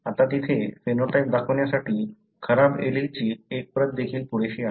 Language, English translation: Marathi, This individual must be having the defective allele, resulting in the phenotype